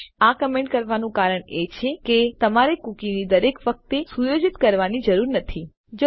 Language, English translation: Gujarati, But the reason I have commented this is because you dont need to set a cookie every time the user comes into the page